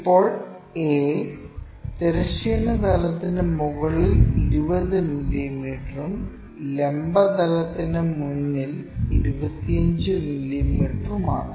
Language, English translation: Malayalam, Now, end a is 20 mm above horizontal plane and 25 mm in front of vertical plane